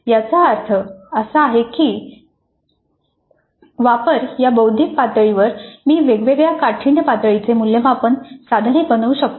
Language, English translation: Marathi, That means at the applied cognitive level itself I can have assessment items of different difficulty levels